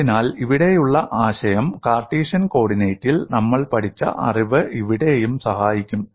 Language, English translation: Malayalam, So the idea here is whatever we have learnt in Cartesian coordinate, the knowledge would help here